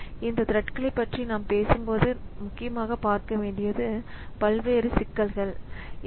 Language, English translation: Tamil, So these are various issues that we need to see when we are talking about these threads